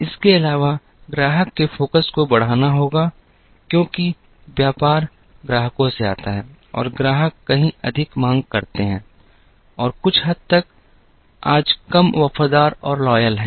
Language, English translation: Hindi, In addition, there has to be increased customer focus, because the business comes from the customers and customers are far more demanding and to some extent, far less loyal today